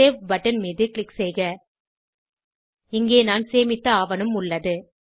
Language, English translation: Tamil, Click on Save button Here is my saved document